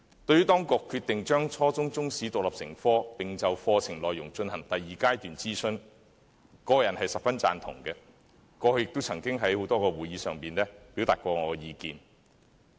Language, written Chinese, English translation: Cantonese, 對於當局決定將初中中史獨立成科，並就課程內容進行第二階段諮詢，我個人十分贊同，過去也曾在多個會議上表達我的意見。, I personally very much approve of the decision made by the authorities back then to make Chinese History an independent subject at the junior secondary level and conduct the second stage consultation on the curriculum . I did express my opinions at a number of meetings in the past